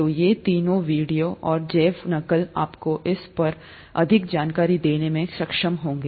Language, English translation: Hindi, So these three, videos and bio mimicry would be able to give you more information on that